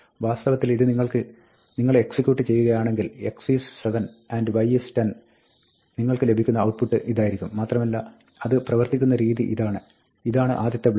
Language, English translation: Malayalam, And in fact, if you execute this, then, you will get the output, x is 7 and y is 10 and the way it works is that, this is the first block